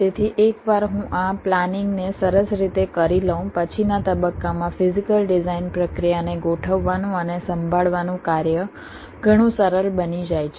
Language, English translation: Gujarati, so once i do this planning in a nice way, the task of laying out and handling the physical design process in subsequent stages becomes much easier